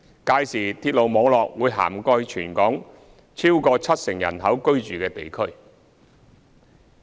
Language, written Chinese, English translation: Cantonese, 屆時鐵路網絡會涵蓋全港逾七成人口居住的地區。, By then the railway network will cover areas inhabited by more than 70 % of the local population